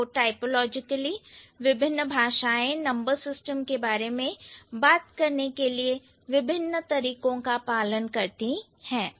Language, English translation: Hindi, So, typologically different languages, they follow different approaches to talk about their number system